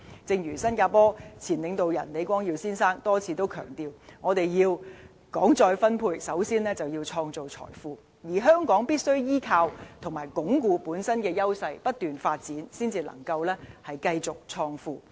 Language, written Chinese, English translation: Cantonese, 正如新加坡前領導人李光耀先生多次強調，要談再分配，首先要創造財富，而香港必須依靠和鞏固本身的優勢，不斷發展，才能繼續創富。, As reiterated on many occasions by Mr LEE Kuan - yew former leader of Singapore we must first create wealth before talking about redistribution . In Hong Kongs case we must rely on and consolidate our own advantages and sustain our economic development so as to keep on creating wealth